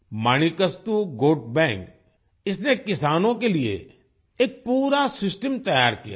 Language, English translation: Hindi, Manikastu Goat Bank has set up a complete system for the farmers